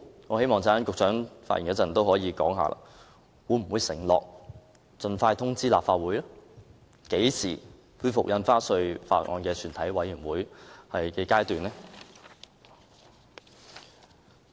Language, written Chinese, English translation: Cantonese, 我希望局長稍後發言時可以告知我們，會否承諾盡快通知立法會，何時會恢復《條例草案》的全體委員會審議階段的討論？, When the Secretary speaks later I hope he can tell us whether he will undertake to notify the Legislative Council when the discussion at the Committee stage of the Bill will be resumed